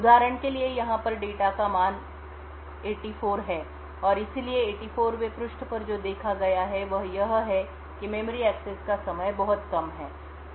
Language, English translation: Hindi, So over here for example the data has a value of 84 and therefore at the 84th page what is observed is that there is much lesser memory access time